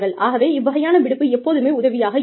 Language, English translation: Tamil, So, it is always helpful, to have this kind of leave